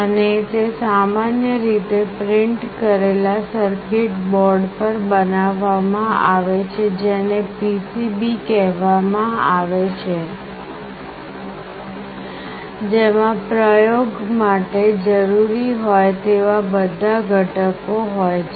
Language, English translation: Gujarati, And, it is generally built on a printed circuit board that is called PCB containing all the components that are required for the experimentation